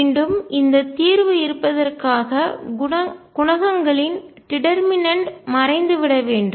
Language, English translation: Tamil, And again for the solution to exist I should have that the determinant of these coefficients must vanish